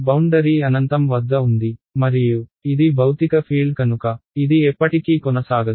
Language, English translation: Telugu, The boundary has is at infinity and because this is physical field it cannot go on forever